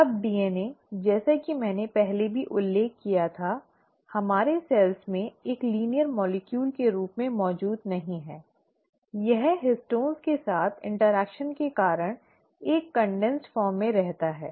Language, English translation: Hindi, Now DNA as I had mentioned earlier also, does not exist as a linear molecule in our cells, it kind of remains in a condensed form because of its interaction with histones